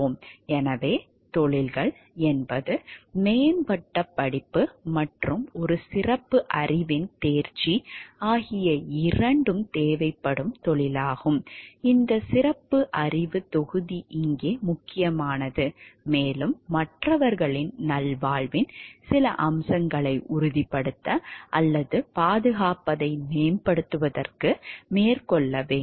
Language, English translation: Tamil, So, professions are those occupations that require both advanced study and mastery of a specialized body of knowledge, this word specialized body of knowledge is important over here and, to undertake to promote ensure, or safeguard some aspect of others well being